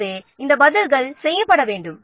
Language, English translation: Tamil, So, these answers must be made